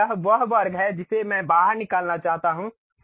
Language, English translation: Hindi, Now, this is the square which I want to extrude